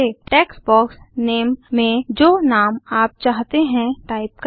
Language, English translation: Hindi, In the Name text box, type the name that you wish to add